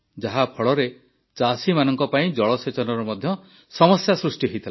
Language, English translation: Odia, Due to this, problems in irrigation had also arisen for the farmers